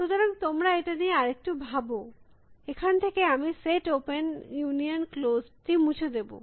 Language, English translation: Bengali, So, you just think a little bit about that, from this I will remove the set open union closed